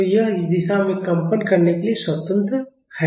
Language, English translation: Hindi, So, this is free to vibrate in this direction